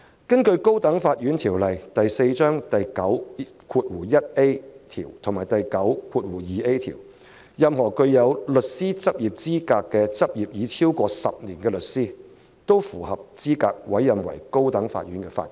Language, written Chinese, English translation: Cantonese, 根據《高等法院條例》第9及第9條，任何人具有資格並執業為高等法院律師超過10年，都符合資格獲委任為高等法院法官。, In accordance with sections 91A and 92A of the High Court Ordinance Cap . 4 anyone is eligible to be appointed a Judge of the High Court if he is qualified to practise as a solicitor of the High Court and has practised as such for at least 10 years